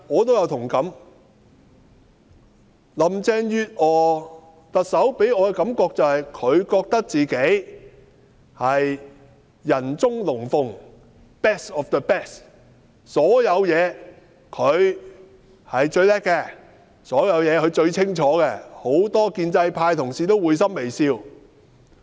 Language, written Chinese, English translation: Cantonese, 行政長官林鄭月娥給我的感覺是，她認為自己是人中龍鳳 ，best of the best， 她在各方面都是最出色的，所有事情她都最清楚，對此許多建制派同事都會心微笑。, Chief Executive Carrie LAM gives me the impression that she is the best of the best in all areas and she has a good grasp of all matters . In this connection many pro - establishment Members have given a knowing smile